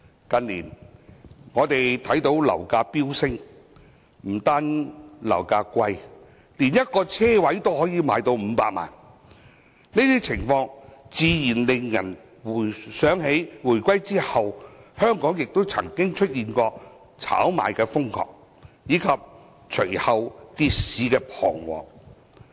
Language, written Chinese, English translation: Cantonese, 近年樓價飆升，不單樓價高昂，一個車位都可以賣500萬元，這種情況自然令人想起，香港回歸後曾經出現瘋狂炒賣及隨後跌市的彷徨。, In recent years property prices have soared affecting not only flats but also parking spaces . A parking space can fetch 5 million . This naturally reminds us of the havoc caused by the frantic speculation in properties and the subsequent market crash after the reunification